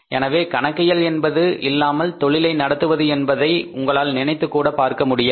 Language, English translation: Tamil, So financial accounting you can't think of doing business without financial accounting